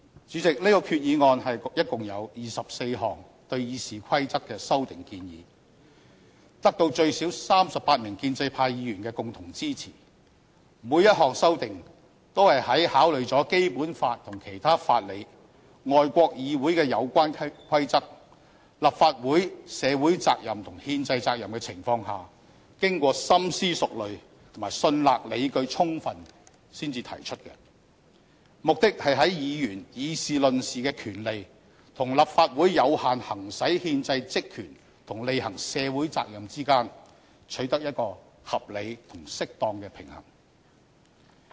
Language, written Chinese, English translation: Cantonese, 主席，這項決議案共有24項對《議事規則》的修訂建議，得到最少38名建制派議員的共同支持，每項修訂都是在考慮了《基本法》和其他法理、外國議會的有關規則、立法會社會責任和憲制責任的情況下，經過深思熟慮及信納理據充分才提出的，目的是在議員議事論事的權利和立法會有效行使憲制職權及履行社會責任之間取得一個合理和適當的平衡。, President this resolution jointly supported by at least 38 pro - establishment Members contains 24 proposed amendments to the Rules of Procedure . In drafting each amendment thorough consideration has been given to the Basic Law and other principles of law relevant practices of Councils in other countries and social and constitutional responsibilities of the Legislative Council; and each amendment is only proposed after making sure that it is well justified . The amendments seek to strike an appropriate balance between Members and their right to expression in this Council and the Legislative Council and the effective exercise of its constitutional powers and functions and the discharge of its social responsibilities